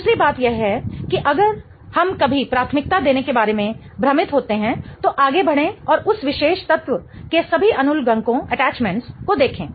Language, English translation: Hindi, The other thing is if you are ever confused about assigning priorities, go ahead and look at all the attachments to that particular element